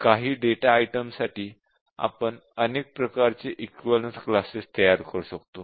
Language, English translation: Marathi, For some data item we can construct multiple types of equivalence classes